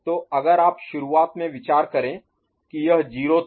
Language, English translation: Hindi, So, if to start with you consider that this was 0, right